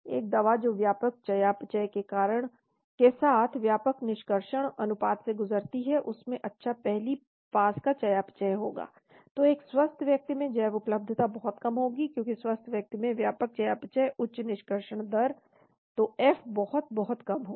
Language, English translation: Hindi, A drug which undergoes extensive metabolism with high extraction ratio will have high first pass metabolism, so in a healthy subject bioavailability will be very, very low, because healthy subject extensive metabolism high extraction rate , so F will be very, very less